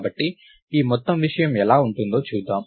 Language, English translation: Telugu, So, lets see how this whole thing would look like